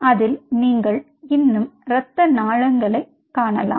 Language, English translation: Tamil, you will still see the blood vessels